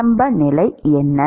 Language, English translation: Tamil, What is the initial condition